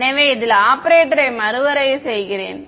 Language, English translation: Tamil, So, I am redefining the operator in this